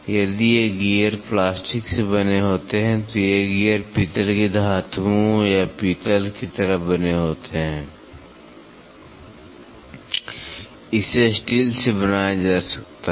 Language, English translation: Hindi, If these gears are made out of plastic these gears are made out of brass metals or like brass, it can be made out of steel